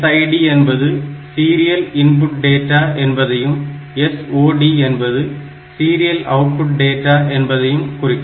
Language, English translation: Tamil, So, this is SID stands for serial input data, and a SOD stands for serial output data